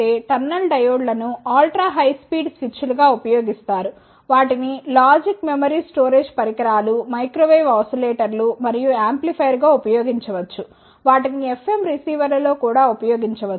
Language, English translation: Telugu, Now, if I talk about the applications tunnel diodes are used as ultra high speed switches, they can be used logic memory storage devices microwave oscillators and amplifier, they can also be used in FM receivers